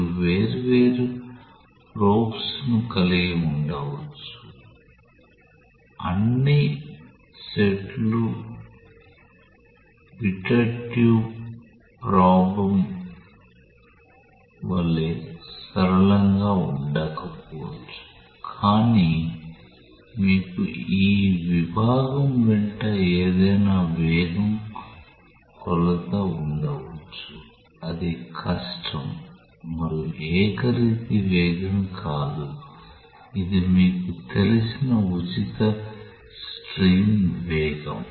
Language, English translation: Telugu, You can have the different probes all set may not be as simple as a pitot tube probe, but you may have any velocity measurement along this section that is not difficult and uniform velocity which is the free stream velocity that you know